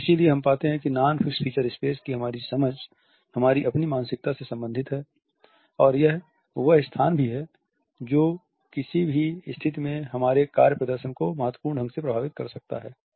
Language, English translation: Hindi, So, that is why we find that our understanding of non fixed feature space is related with our own psyche and this is also the space which is perhaps the most significant way to impact our work performance in any situation